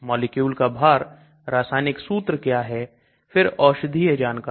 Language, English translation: Hindi, what is the molecular weight, chemical formula, then pharmacological details